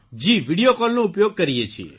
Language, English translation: Gujarati, Yes, we use Video Call